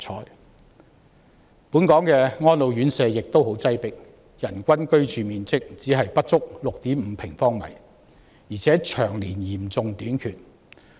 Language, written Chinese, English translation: Cantonese, 另外，本港的安老院舍也很擠迫，人均居住面積只是不足 6.5 平方米，而且宿位長年嚴重短缺。, Moreover residential care homes for the elderly RCHEs in Hong Kong are also very crowded with per capita living space not even reaching 6.5 sq m and there has been a serious shortage of residential places for years